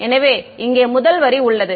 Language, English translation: Tamil, So, the first line over here is